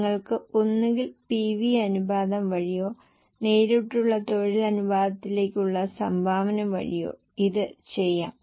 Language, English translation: Malayalam, You can either do it by PV ratio or by contribution to direct labor ratio